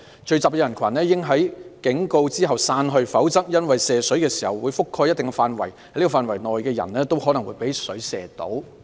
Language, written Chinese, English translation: Cantonese, 聚集的人群應在警告後散去，否則因射水時會覆蓋一定的範圍，在這範圍內的人都很可能被水射到。, The gathering crowd should leave upon such warnings . As the water to be sprayed will cover a considerable area anyone staying in the area is likely to be sprayed